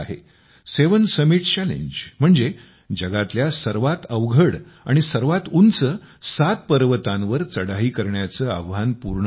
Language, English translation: Marathi, The seven summit challenge…that is the challenge of surmounting seven most difficult and highest mountain peaks